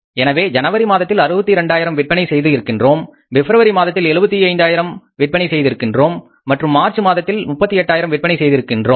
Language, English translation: Tamil, So we sold in the month of January for 62,000 worth of dollars, save 75,000 worth of dollars in Feb and 38,000 worth of dollars in the month of March